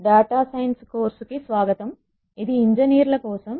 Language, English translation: Telugu, Welcome, to this course on Data Science for Engineers